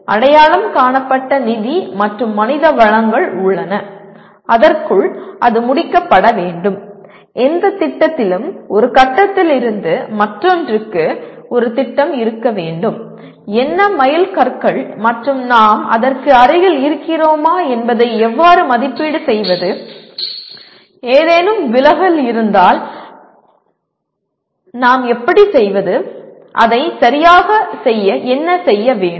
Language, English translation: Tamil, There are identified financial and human resources and it has to be completed within that and any project what will happen is, it has to have a plan from one point to the other and what are the milestones and how do we evaluate whether we are near the milestones and then if there are deviation how do we, how can we, what exactly is to be done to do that